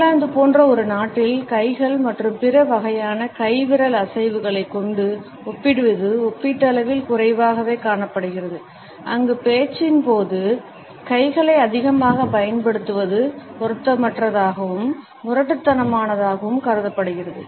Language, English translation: Tamil, Gesticulating with hands and other different types of hand and finger movements are relatively less seen in a country like England, where using ones hands too much during the speech is still considered to be inappropriate and rude